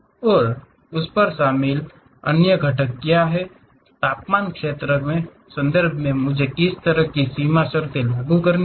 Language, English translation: Hindi, And what are the other components involved on that, what kind of boundary conditions in terms of temperature field I have to apply